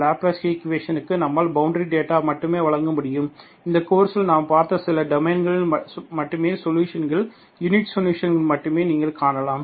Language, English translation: Tamil, So Laplace equation we can only provide the boundary data and you could find, you can find the solutions, unique solutions only in certain domain that we have seen in this course, okay